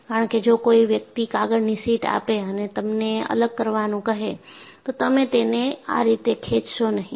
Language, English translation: Gujarati, Because if somebody gives a sheet of paper and ask you to separate, you will not pull it like this